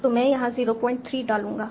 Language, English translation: Hindi, So I'll put 0